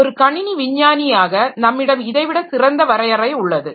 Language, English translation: Tamil, So, so as a computer scientist, we can have a much better definition than this